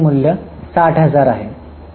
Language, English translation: Marathi, So, the total value is 60,000